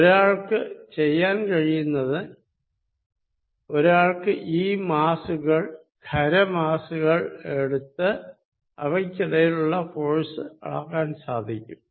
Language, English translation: Malayalam, What one could do is that, one could take these masses, solid masses and measure the force between them